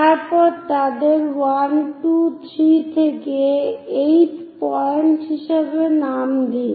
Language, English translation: Bengali, Then number them as point 1, 2, 3 all the way to 8